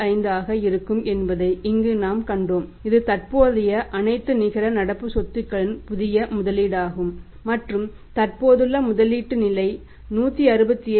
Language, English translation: Tamil, 45 that is the new investment in all the current asset net current assets and existing level of investment was that is 167